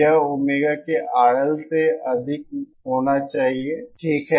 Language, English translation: Hindi, It should be greater than R L of Omega, okay